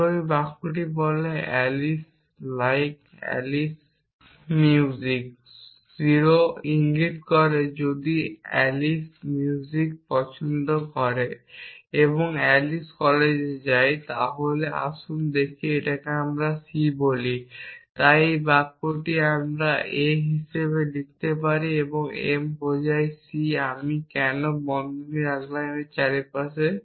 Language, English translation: Bengali, And this sentence says Alice like algebra Alice like music o implies a if Alice likes music and then Alice goes to college So, this let us call it is c So, this sentence I can write as a and m implies c why did I put brackets around here